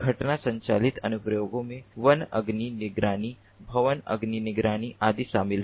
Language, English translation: Hindi, even driven ah applications include, like forest fire monitoring, building fire monitoring and so on